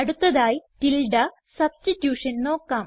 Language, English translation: Malayalam, The next thing we would see is called tilde substitution